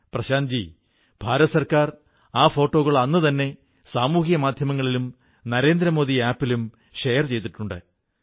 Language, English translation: Malayalam, Prashant ji, the Government of India has already done that on social media and the Narendra Modi App, beginning that very day